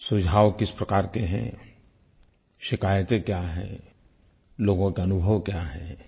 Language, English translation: Hindi, What are the kinds of suggestions, what are the kinds of complaints and what are the experiences of the people